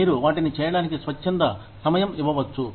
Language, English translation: Telugu, You could give them, voluntary time off